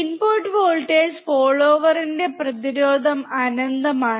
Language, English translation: Malayalam, The input resistance of the voltage follower is infinite